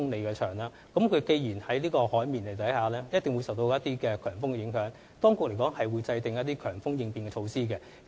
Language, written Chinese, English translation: Cantonese, 既然大橋建於海面上，必定會受強風影響，所以當局會制訂強風應變措施。, As it is built over water it will certainly be susceptible to high winds . The Administration will therefore formulate high wind contingency measures